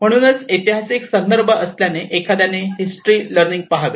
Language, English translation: Marathi, So because being a historic context one has to look at the learning from history